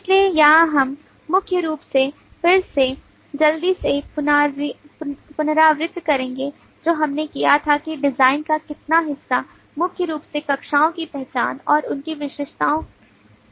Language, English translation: Hindi, so here we will primarily again quickly recap what we did how much part of the design has been done primarily the identification of classes and their attributes have been done